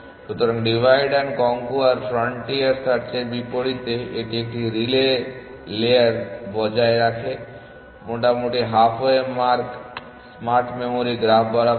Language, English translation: Bengali, So, unlike divide and conquer frontier search this maintains one relay layer roughly along the half way mark smart memory graph